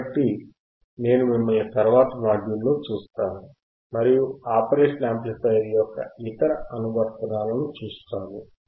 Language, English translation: Telugu, So, I will see you in the next module and we will see other applications of the operational amplifier